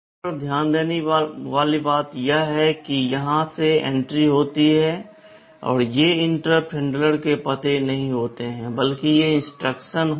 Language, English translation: Hindi, The point to notice is that entries out here, these are not addresses of interrupt handler rather these are instructions